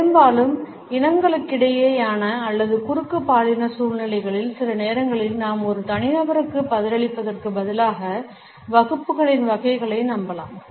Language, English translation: Tamil, And often in interracial or cross gender situations sometimes we may tend to rely upon categories in classes instead of responding to an individual